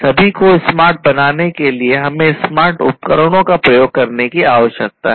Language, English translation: Hindi, So, for all of these in order to make them smarter, we need to use smart devices, smart devices, right